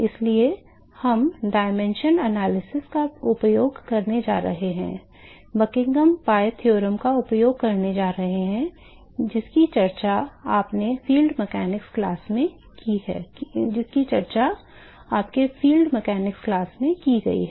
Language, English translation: Hindi, So, what we are going to use we are going to use the dimension analysis, going to use the Buckingham pi theorem, which has been talked in your field mechanics class